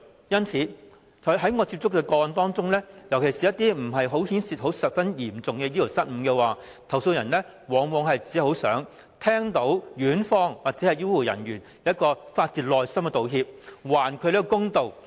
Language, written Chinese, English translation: Cantonese, 因此，在我接觸的個案中，尤其是一些牽涉不十分嚴重醫療失誤的個案，投訴人往往只想聽到院方或醫護人員發自內心的道歉，還他們一個公道。, Hence in some cases I have handled especially those involving less serious medical blunders the complainants only wanted to hear a heart - felt apology from the hospitals or health care personnel concerned in order to do themselves justice